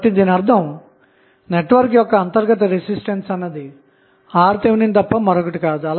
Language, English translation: Telugu, So, that means, that the internal resistance of the network is nothing but Rth